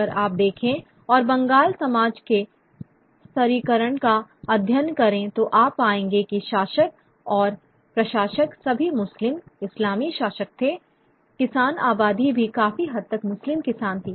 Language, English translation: Hindi, If you look at the study the stratification of the Bengali society, you'd find that though the rulers and the administrators were all Muslim, Islamic rulers, the peasant population were also largely Muslim peasant, the huge majority of the peasantry of being all were Muslims